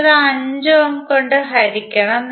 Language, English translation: Malayalam, You have to simply divide it by 5 ohm